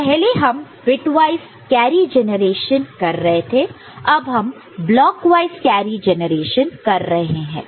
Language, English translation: Hindi, So, earlier we were doing bitwise carry generation; now it is block wise carry generation, right